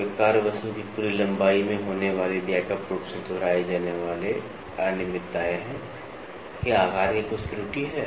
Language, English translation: Hindi, They are widely spaced repetitive irregularities occurring over a full length of the workpiece are some of the error of form